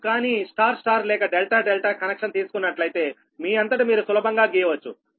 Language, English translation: Telugu, if you take very simple, it is: if you take star star or delta delta connection, you can draw yourself